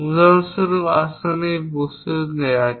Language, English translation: Bengali, For example, let us take this object